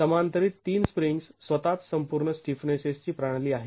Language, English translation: Marathi, Three springs in parallel is the total stiffness of the system itself